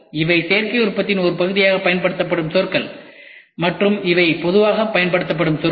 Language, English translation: Tamil, These are terminologies which are used as part of Additive Manufacturing and these are the terminologies which are used commonly